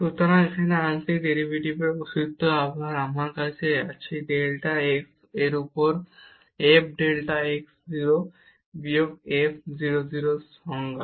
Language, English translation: Bengali, So, here the existence of partial derivative again we have the definition f delta x 0 minus f 0 0 over delta x